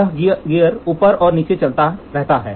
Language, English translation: Hindi, So, this gear this moves up and down